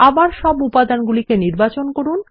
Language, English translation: Bengali, Again let us select all the elements